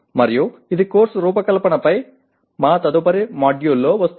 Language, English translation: Telugu, And also it will come in our next module on Course Design